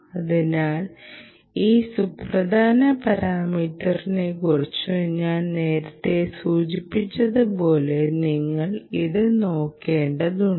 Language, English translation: Malayalam, so you have to look at this, as i mentioned earlier, as an important parameter